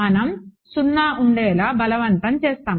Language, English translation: Telugu, We will force to be 0 right